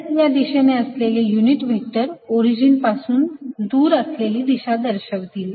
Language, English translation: Marathi, the unit vector in the s direction is going to be in the direction pointing away from the origin